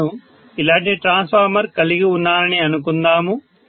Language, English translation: Telugu, So let say I have a transformer like this, right